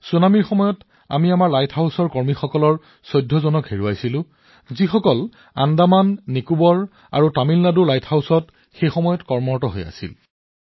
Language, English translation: Assamese, During the tsunami we lost 14 of our employees working at our light house; they were on duty at the light houses in Andaman Nicobar and Tamilnadu